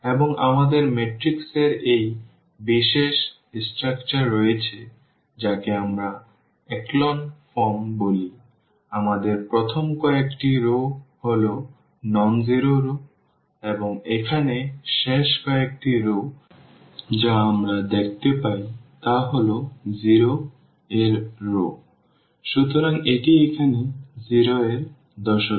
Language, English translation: Bengali, And, we have this special structure which of the matrix which we call the echelon form; we have these the first few rows are the nonzero rows this non nonzero rows and the last few rows here which we see are the 0s rows; so, this here 0s